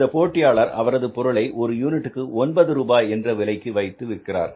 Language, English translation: Tamil, So it means we are also able to bring it down to nine rupees per unit